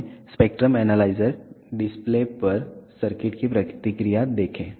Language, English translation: Hindi, Let us see the response of this circuit on the spectrum analyzer display